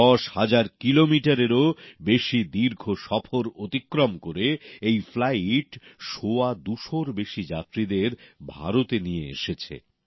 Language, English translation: Bengali, Travelling more than ten thousand kilometres, this flight ferried more than two hundred and fifty passengers to India